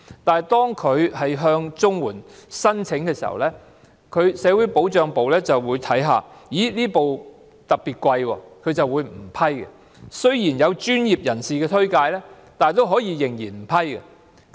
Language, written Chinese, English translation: Cantonese, 但是，當他們申請綜援時，社會保障辦事處發現輪椅特別昂貴，便不會批准。即使有專業人士推薦，仍然不批准。, However the Social Security Field Units will not approve their CSSA applications even with professional recommendation when the wheelchairs are found to be particularly expensive